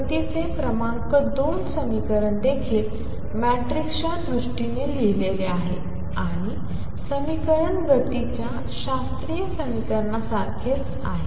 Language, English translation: Marathi, Number 2 equation of motion is also written in terms of matrices and the equation is the same as classical equation of motion